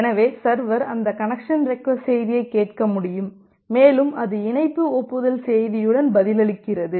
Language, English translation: Tamil, So the server can listen that connection request message and it replies back with the connection acknowledgement message